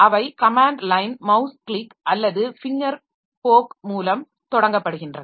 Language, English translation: Tamil, So they are launched by command line mouse click or finger poke